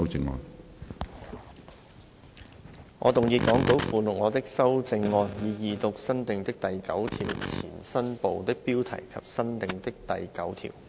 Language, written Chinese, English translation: Cantonese, 主席，我動議講稿附錄我的修正案，以二讀新訂的第9條前新部的標題及新訂的第9條。, Chairman I move my amendment to read the new Part heading before new clause 9 and new clause 9 the Second time as set out in the Appendix to the Script